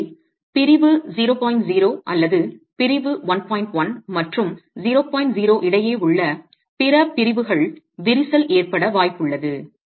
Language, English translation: Tamil, So section 0 or other sections between section 11 and the 0 0 should possibly have a situation of cracking